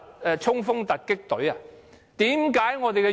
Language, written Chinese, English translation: Cantonese, 要衝鋒突擊隊嗎？, Do we need any emergency ambush unit then?